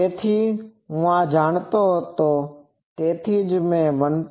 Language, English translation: Gujarati, So, I knew this that is why I wrote that 1